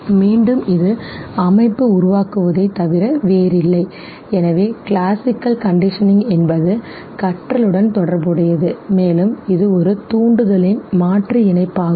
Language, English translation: Tamil, Again it is nothing but formation of association, so classical conditioning is also associated learning and it is the substitution and association of one stimulus for the other okay